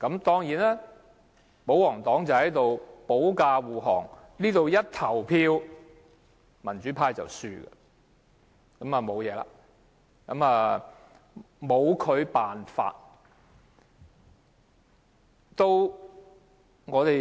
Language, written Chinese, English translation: Cantonese, 當然，保皇黨會保駕護航，投票時，民主派會落敗，拿他沒法。, Certainly the royalists will shield him and when the motion is put to vote the democrats will lose